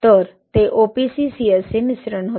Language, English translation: Marathi, So it was OPC CSA blend